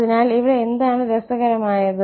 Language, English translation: Malayalam, So, that is interesting